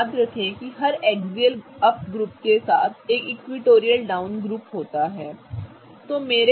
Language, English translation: Hindi, Now remember that every up group has a down equatorial group, right